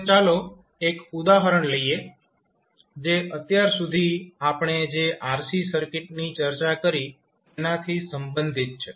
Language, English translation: Gujarati, So now, let us take 1 example and let us what we discussed till now related to RC circuit